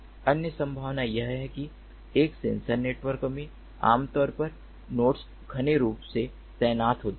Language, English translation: Hindi, other possibility is that in a sensor networks, typically, the nodes are densely deployed